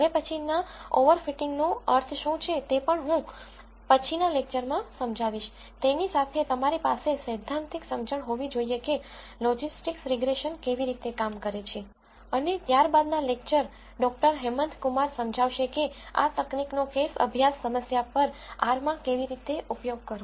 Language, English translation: Gujarati, I will explain what over fitting means in the next lecture also, with that you will have theoretical under standing of how logistics regression works and in a subsequent lecture doctor Hemanth Kumar would illustrate, how to use this technique in R on a case study problem